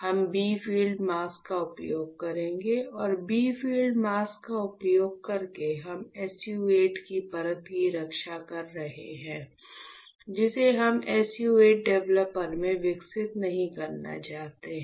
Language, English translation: Hindi, We will use a bright field mask and by using bright field mask what we are doing; we are protecting the layer of SU 8 which we do not want to get develop in the SU 8 developer